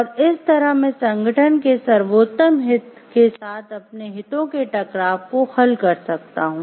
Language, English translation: Hindi, And I can resolve my own conflict of interest along with the best interest of the organization in that way